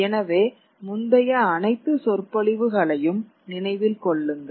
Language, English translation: Tamil, So, keep in mind all the previous lectures